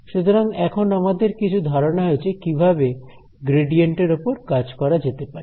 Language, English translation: Bengali, So, we have got some idea of how to work with the gradient now